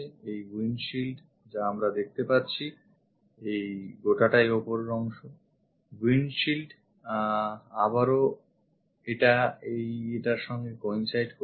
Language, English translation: Bengali, This is the ah windshield what we are going to have, this entire stuff is windshield the top portion again this one coincides this one